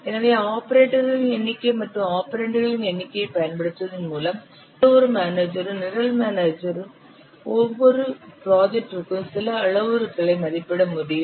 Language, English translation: Tamil, So by using the number of operators and the number of operands, any manager program manager can estimate certain parameters for his project